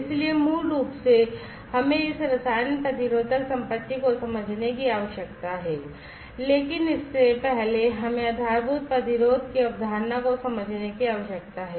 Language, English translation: Hindi, So, basically we need to understand this chemi resistive property, but before that we need to understand the concept of the baseline resistance